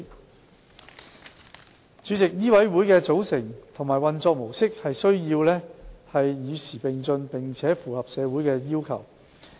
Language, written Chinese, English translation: Cantonese, 代理主席，醫委會的組成和運作模式需要與時並進，並且符合社會要求。, Deputy President the composition and mode of operation of MCHK has to keep abreast with the times and meet the aspirations of society